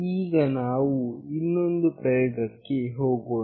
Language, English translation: Kannada, Let us go to another experiment